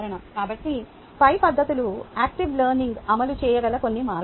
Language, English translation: Telugu, so the above techniques are some means by which active learning can be implemented